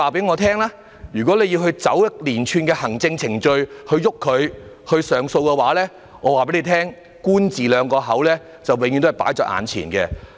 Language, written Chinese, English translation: Cantonese, 要他們循一連串的行政程序提出上訴的話，我可以告訴局方，結果就是"官字兩個口"。, To ask them to lodge an appeal following a series of administrative procedures I can tell the Bureau that the outcome is simply the officials say it all